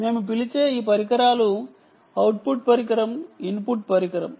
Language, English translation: Telugu, um, we call this device the output device, we call this device the input device